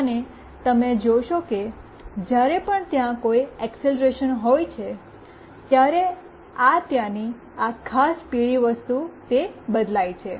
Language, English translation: Gujarati, And you see that whenever there is some acceleration, this particular yellow thing that is there it changes